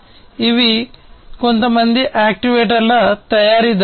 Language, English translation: Telugu, These are some actuator manufacturers